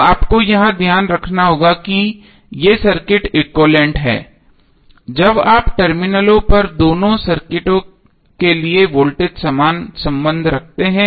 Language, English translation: Hindi, So you have to keep in mind that these circuits are set to be equivalent only when you have voltage current relationship same for both of the circuit at the terminal